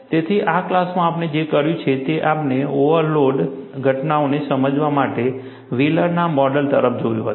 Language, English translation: Gujarati, So, in this class, what we had done was, we had looked at Wheeler's model, to explain the overload phenomena